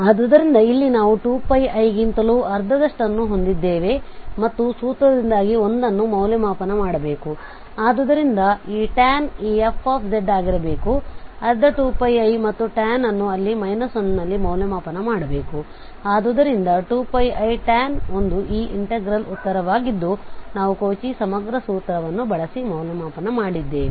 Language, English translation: Kannada, Similarly for the second part we have minus half 2 pi i and tan here must be evaluated at minus 1, so this is the final result that 2 pi i and the tan 1 this is the answer of this integral which we have evaluated using the Cauchy integral formula